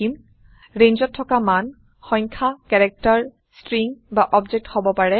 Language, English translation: Assamese, The values in a range can be numbers, characters, strings or objects